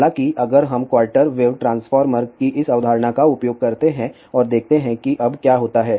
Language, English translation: Hindi, However, if we use this concept of quarter wave transformer and let us see what happens now